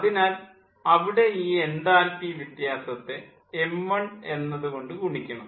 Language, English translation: Malayalam, so there will be ah, this enthalpy difference, ah multiplied by your m dot one